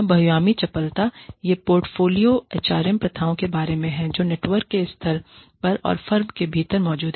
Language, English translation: Hindi, And, this is about, the portfolio HRM practices, that exists at the level of the network, and within the firm